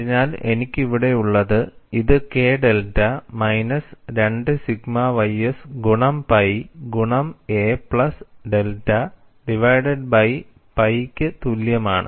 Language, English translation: Malayalam, So, what I have here is, it becomes K delta equal to minus 2 sigma ys multiplied by pi into a plus delta divided by pi between the limits